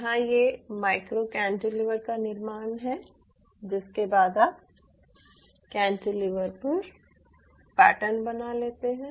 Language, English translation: Hindi, here it is fabrication of micro cantilever, followed by how you can pattern such cantilevers